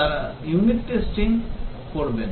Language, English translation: Bengali, They do unit testing